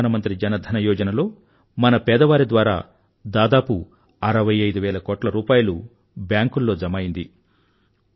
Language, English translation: Telugu, In the Pradhan Mantri Jan Dhan Yojna, almost 65 thousand crore rupees have deposited in banks by our underprivileged brethren